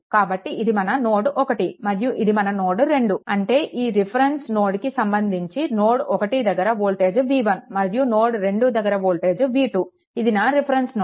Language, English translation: Telugu, So, this is my node 1, this is my node 2; that means, my this voltage is v 1 this voltage v 2 with respect to this reference node, this is my reference node